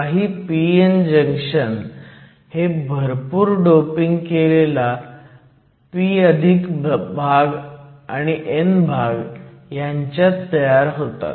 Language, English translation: Marathi, They are certain p n junctions that are formed between a heavily doped p+ region and an n region